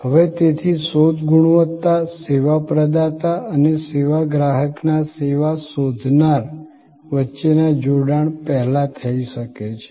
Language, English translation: Gujarati, Now, search quality therefore can happen prior to the engagement between the service provider and the service seeker of the service consumer